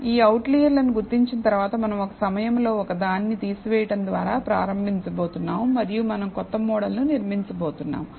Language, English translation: Telugu, So, after identifying these outliers, we are going to start by removing one at a time and we are going to build a new model